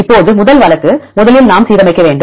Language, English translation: Tamil, Now first case is first we have to align